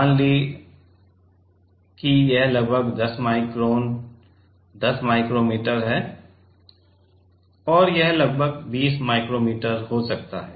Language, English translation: Hindi, Let us say this is about 10 microns, 10 micrometer and this may be about 20 micrometer